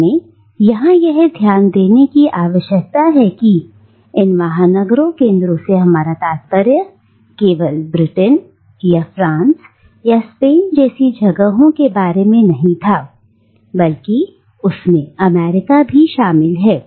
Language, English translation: Hindi, And we need to note here that these metropolitan centres that we are talking about not only includes places like Britain or France or Spain but it also includes America today